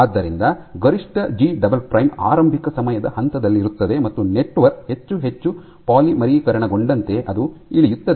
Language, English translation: Kannada, So, maximum G double prime is at in at the initial time point And then it drops as that network becomes more and more polymerized